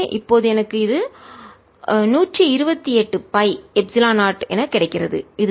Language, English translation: Tamil, so hundred and twenty eight pi epsilon zero